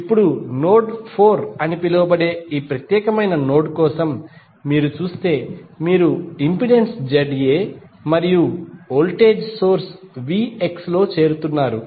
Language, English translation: Telugu, Now, if you see for this particular node called node 4 you are joining the impedance Z A and the voltage source V X